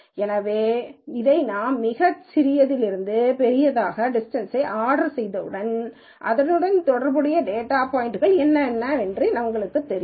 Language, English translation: Tamil, So, once we order this according to distance and go from the smallest to largest, once we sort it in this fashion, then we also know what the correspond ing data points are